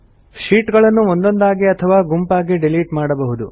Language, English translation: Kannada, Sheets can be deleted individually or in groups